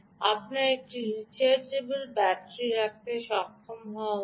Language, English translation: Bengali, you should be able to put it into a rechargeable battery